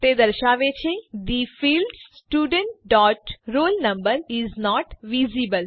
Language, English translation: Gujarati, It says The field Student dot roll number is not visible